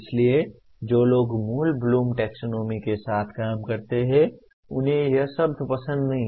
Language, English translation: Hindi, So people who work with original Bloom’s taxonomy, they do not like this word